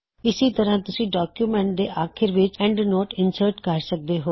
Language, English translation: Punjabi, Likewise, you can insert an endnote at the bottom of the document